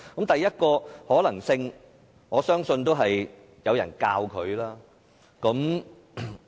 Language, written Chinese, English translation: Cantonese, 第一個可能性，我相信是有人教他。, The first possibility is that someone taught him to do so